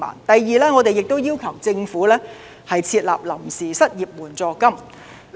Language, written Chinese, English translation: Cantonese, 第二，我們亦要求政府設立臨時失業援助金。, Second we also urge the Government to set up a temporary unemployment fund